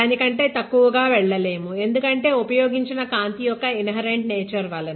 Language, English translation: Telugu, Anything below that because of the inherent nature of the light that is used